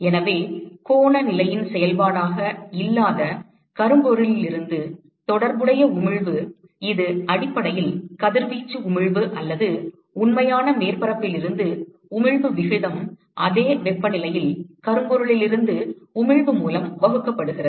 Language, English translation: Tamil, So, the corresponding emission from black body which is not a function of the angular position so, this is essentially ratio of radiation emission or emission from real surface divided by emission from blackbody at same temperature